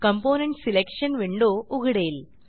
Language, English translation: Marathi, The component selection window will open up